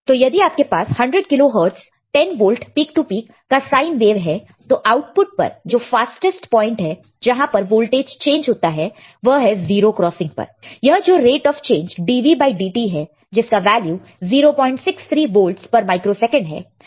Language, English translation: Hindi, So, if you have a 10 kilo Hertz 10 volt peak to peak sine wave right diff on the output the fastest point at which the voltage changes it as the 0 crossing, the rate of change dV by dt is nothing, but 0